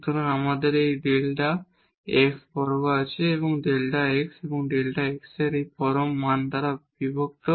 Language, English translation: Bengali, So, you have this delta x square and divided by this absolute value of delta x and delta x